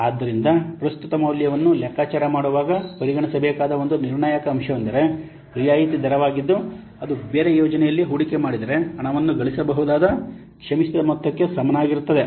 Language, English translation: Kannada, So, so a critical factor to consider in computing the present value is a discount rate which is equivalent to the forgone amount that the money could earn if it were invested in a different project